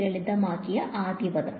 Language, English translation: Malayalam, The first term that simplified